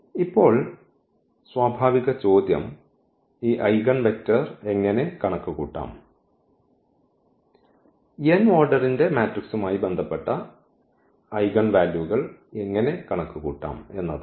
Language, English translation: Malayalam, Now, the natural question is how to compute this eigenvector and how to compute the eigenvalues associated with this with the matrix of order n